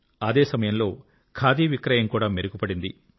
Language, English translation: Telugu, On the other hand, it led to a major rise in the sale of khadi